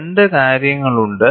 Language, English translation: Malayalam, There are two things happening